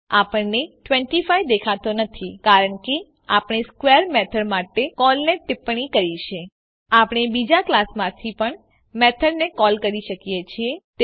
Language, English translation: Gujarati, We do not see 25 because we have commented the call to square method We can also call method from other class